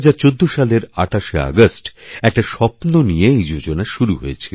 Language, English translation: Bengali, On the 28th of August 2014, we had launched this campaign with a dream in our hearts